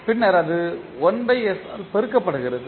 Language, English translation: Tamil, And then it is multiplied by 1 by s